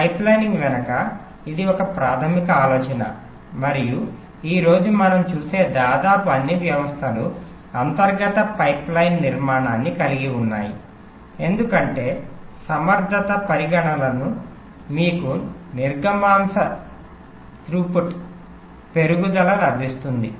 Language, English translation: Telugu, this is a basic idea behind pipelining and almost all systems that we see today as an internal pipeline structure, because of an efficiency considerations, because of throughput increase, increase in throughput that you get by doing that